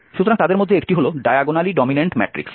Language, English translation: Bengali, So one of them is what is diagonally dominant matrix